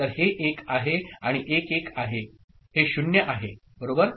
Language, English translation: Marathi, So, this is 1, and 1 1, this is 0 right